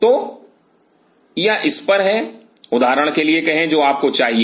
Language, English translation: Hindi, So, this is the level say for example, you wanted to have